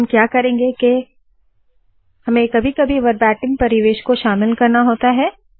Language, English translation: Hindi, Now what we will do is, sometimes you have to include Verbatim environment